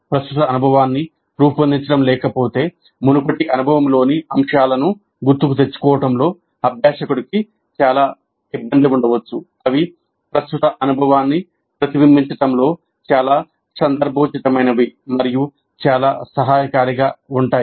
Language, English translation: Telugu, If there is no framing of the current experience, learner may have considerable difficulty in recalling elements from the previous experience that are most relevant and most helpful in reflecting on the current experience